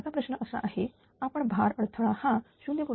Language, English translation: Marathi, So, I assume that load changes by 0